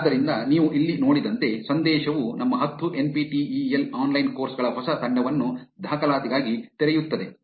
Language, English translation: Kannada, So, as you see here the message reads new batch of ten our NPTEL online courses open for enrollment